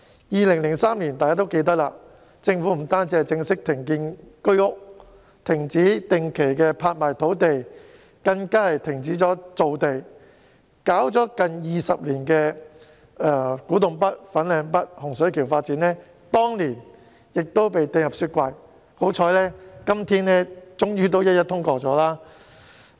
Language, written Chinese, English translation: Cantonese, 大家也記得，政府在2003年不但正式停建居屋、停止定期拍賣土地，更停止造地，而推動了近20年的古洞北、粉嶺北和洪水橋發展計劃，當年亦被冰封，幸好今天終於一一通過。, Members must remember that not only did the Government formally decide in 2003 to cease the production of Home Ownership Scheme flats and halt all regular land auctions but it also stopped land formation . Furthermore Kwu Tung North Fanling North and Hung Shui Kiu development plans that had been undertaken for some 20 years were also frozen at that time and fortunately all these plans have been passed now